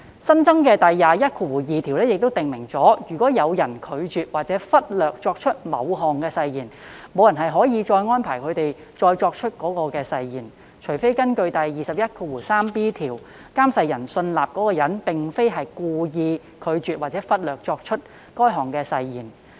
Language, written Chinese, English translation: Cantonese, 新增的第212條亦訂明，如有人拒絕或忽略作出某項誓言，無人可安排該人再作出該項誓言，除非根據第 213b 條，監誓人信納該人並非故意拒絕或忽略作出該項誓言。, The newly added section 212 also specifies that no person may arrange for the person who declines or neglects to take the oath to retake it except that in accordance with section 213b the oath administrator is satisfied that the person did not intentionally decline or neglect to take the oath